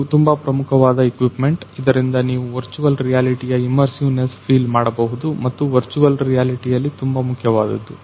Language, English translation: Kannada, Then this is the main equipment with which you can feel the immersiveness of the virtual reality which is the most important part in the virtual reality